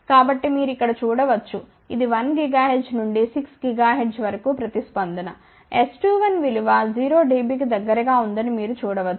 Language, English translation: Telugu, So, you can see over here this is the response from 1 gigahertz to 6 gigahertz, you can see that S 2 1 is close to 0 dB